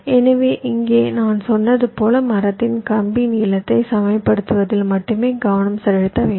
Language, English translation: Tamil, so here, as i had said, we need to concentrate only on equalizing the wire lengths of the tree